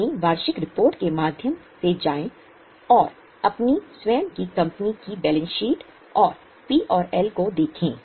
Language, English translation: Hindi, Go through your annual report, look at the balance sheet and piano of your own company